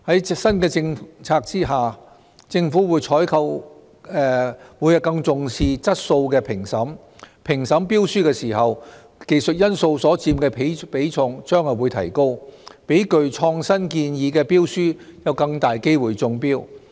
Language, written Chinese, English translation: Cantonese, 在新政策下，政府採購會更重視質素的評審，評審標書時技術因素所佔的比重將會提高，讓具創新建議的標書有更大機會中標。, Under the new policy government procurements will lay greater stress on quality assessment . The technical weighting in tender assessment will be raised such that tenders with innovative suggestions will stand a better chance of winning government contracts